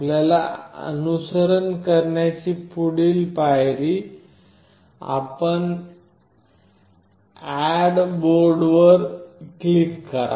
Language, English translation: Marathi, The next step you have to follow is: you click on Add Board